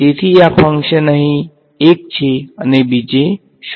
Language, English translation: Gujarati, So, this function is 1 over here and 0 elsewhere n 0